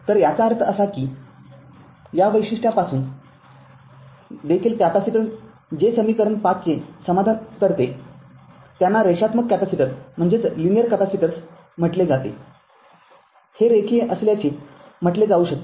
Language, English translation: Marathi, So, that means capacitors that is satisfies equation 5 are said to be linear the from this characteristic also